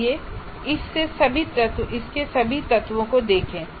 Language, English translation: Hindi, Let us look at all the elements of this